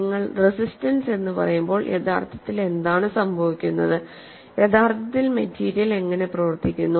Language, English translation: Malayalam, When you say resistance, what actually happens, how the material behaves in actual practice